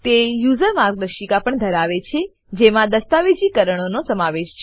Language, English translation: Gujarati, It also has a user guide which contains the documentation